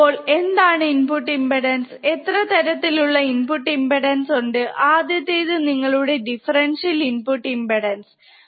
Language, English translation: Malayalam, So, what is input impedance and what kind of input impedance are there, first one is your differential input impedance